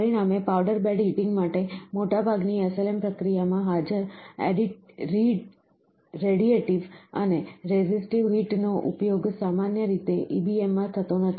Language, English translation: Gujarati, As a result, the radiative and resistive heating present in most SLM systems for powder bed heating are not typically used in EBM, it is not the resistive heating or infrared heating